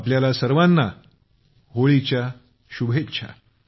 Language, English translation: Marathi, Happy Holi to all of you